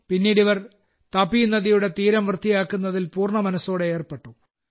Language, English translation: Malayalam, Later, these people also got involved wholeheartedly in cleaning the banks of the Tapiriver